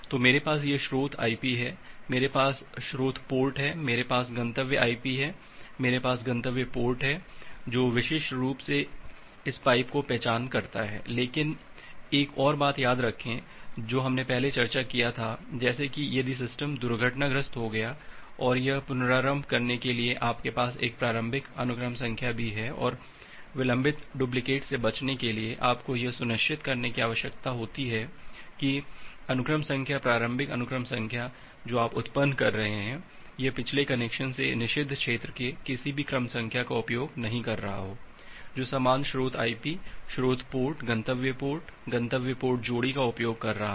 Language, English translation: Hindi, So, I have this source IP, I have source port, I have destination IP, I have destination port, which is uniquely identified this pipe, but remember another point that we have discussed earlier like if a system is getting crashed, and it is restarting you have to also have an initial sequence number and to avoid the delayed duplicate, you need to ensure that that sequence number initial sequence number which you are generating, it is not using any sequence number of the forbidden region from the previous connection, which is utilizing the same source IP, source port